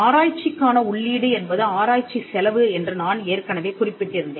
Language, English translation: Tamil, I had already mentioned the input into the research is the research spending